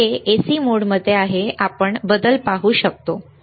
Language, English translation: Marathi, It is in AC mode, we can we can see the change, right